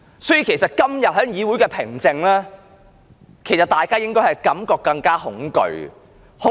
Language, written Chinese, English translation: Cantonese, 所以，對於今天議會上的平靜，其實大家應有更恐懼的感覺。, Therefore the tranquillity and calmness of this Council this morning should have sent shivers down our spines